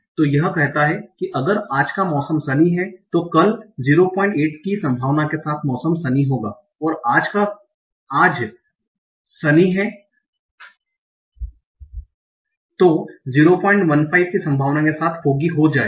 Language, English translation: Hindi, So that says that if today's weather is sunny, then tomorrow will be sunny with the probability of 0